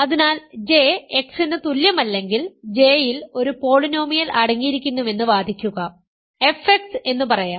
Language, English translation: Malayalam, So, then and argue that if J is not equal to X then J contains a polynomial, let say f x remember R X is the polynomial ring